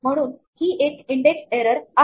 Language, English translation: Marathi, So, this is an index error